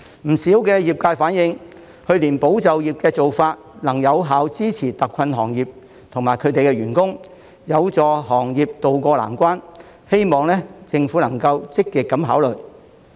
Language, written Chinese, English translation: Cantonese, 不少業界反映，去年保就業的做法，能有效支持特困行業及其員工，有助行業渡過難關，希望政府積極考慮。, Many operators of the industries have reflected that the approach of supporting employment last year could effectively support hard - hit industries and their employees and help them tide over the difficulties . I hope that the Government will give active consideration to this